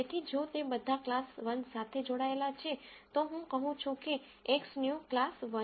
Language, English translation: Gujarati, So, if all of them belong to class 1, then I say X new is class 1